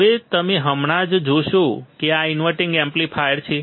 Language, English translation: Gujarati, Now you just see that this is an inverting amplifier